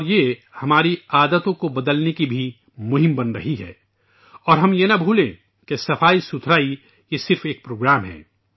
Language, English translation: Urdu, And this is also becoming a campaign to change our habits too and we must not forget that this cleanliness is a programme